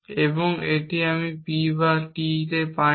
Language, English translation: Bengali, and if you are given not P or S